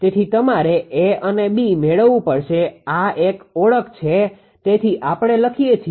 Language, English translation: Gujarati, So, you have to obtain A and B this is an identity this is an identity therefore, we can write